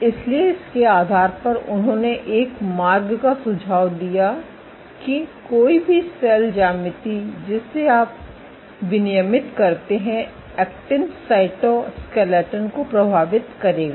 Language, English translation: Hindi, So, based on this they suggested a pathway in which any cell geometry that you regulate will influence the actin cytoskeleton ok